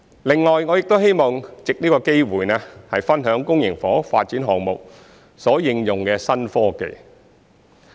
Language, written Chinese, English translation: Cantonese, 另外，我亦希望藉此機會，分享公營房屋發展項目所應用的新科技。, Besides I wish to take this opportunity to share with Members the new technology applied in public housing development projects